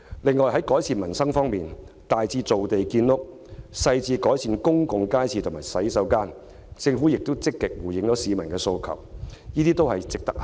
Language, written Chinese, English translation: Cantonese, 另外，在改善民生方面，大至造地建屋，小至改善公眾街市及公廁，政府亦有積極回應市民的訴求。, Moreover as regards the improvement of peoples livelihood the Government has made proactive responses to peoples demands ranging from housing construction to enhancement of public markets and toilets